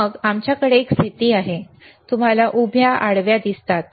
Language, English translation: Marathi, Then we have a position, you see vertical, horizontal